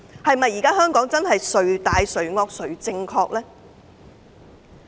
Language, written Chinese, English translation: Cantonese, 是否真的是"誰大誰惡誰正確"呢？, Is it really true that those who are more powerful and more ferocious are in the right?